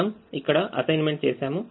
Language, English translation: Telugu, we have made assignments